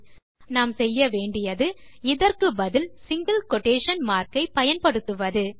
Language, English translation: Tamil, So what we need to do is use our single quotation marks instead